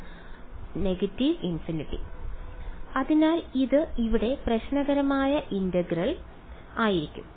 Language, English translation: Malayalam, So, this is going to be the problematic integral over here